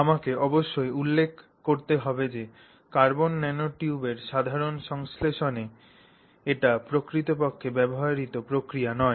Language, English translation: Bengali, So, I must point out that in the general synthesis of carbon nanotubes, this is not the process that is actually used